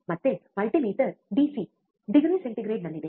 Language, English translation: Kannada, Again, the multimeter is in DC degree centigrade